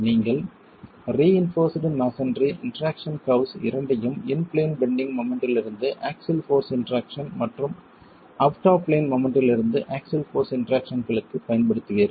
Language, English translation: Tamil, You will be using for the reinforced masonry interaction curves both for in plane bending moment to axial force interaction and out of plane moment to axial force interactions